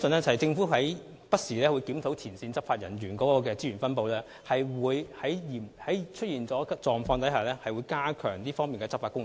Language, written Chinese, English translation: Cantonese, 政府會不時檢討前線執法人員的資源分布，並會在出現嚴重問題時，加強這方面的執法工作。, The Government will review the distribution of frontline law enforcement officers from time to time and step up law enforcement on this front when serious problems emerge